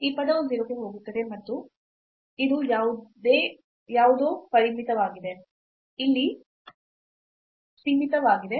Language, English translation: Kannada, So this term go to 0 and this is something bounded something finite here